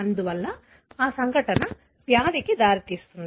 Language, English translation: Telugu, Therefore, that event results in a disease